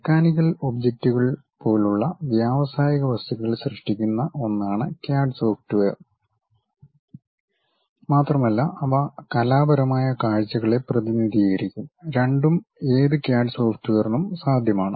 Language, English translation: Malayalam, The CAD software consists of one creating industrial objects such as mechanical objects, and also they will represent artistic views, both are possible by any CAD software